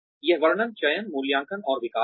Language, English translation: Hindi, That describes, selection appraisal and development